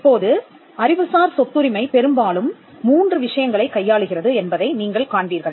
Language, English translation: Tamil, Now, you will find that intellectual property rights deals with largely 3 things